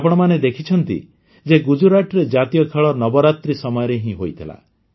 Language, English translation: Odia, You have seen that in Gujarat the National Games were held during Navratri